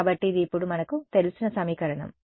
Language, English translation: Telugu, So, that gives me the second equation